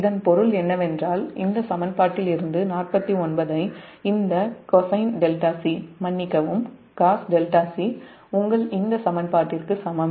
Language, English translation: Tamil, that means just now we have given forty nine from this equation that cosine delta c is equal to this